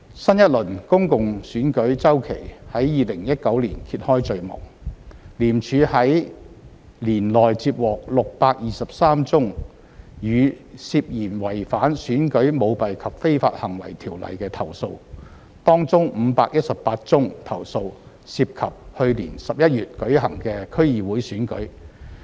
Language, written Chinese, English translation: Cantonese, 新一輪公共選舉周期在2019年揭開序幕，廉署於年內接獲623宗與涉嫌違反《選舉條例》的投訴，當中518宗投訴涉及去年11月舉行的區議會選舉。, The year 2019 saw the beginning of a new cycle of public elections . ICAC received 623 complaints related to the Elections Ordinance including 518 complaints concerning the District Council Election held in November